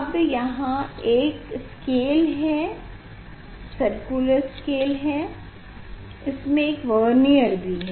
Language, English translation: Hindi, Now, here there is a scale circular scale there is a Vernier